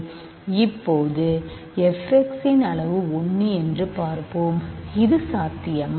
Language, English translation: Tamil, Now, let us see degree of f x is 1, can this be possible